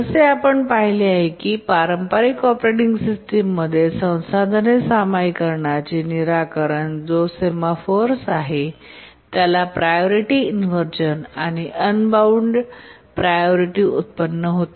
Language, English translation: Marathi, And we have seen that the traditional operating system solution to resource sharing, which is the semaphores, leads to priority inversions and unbounded priority inversions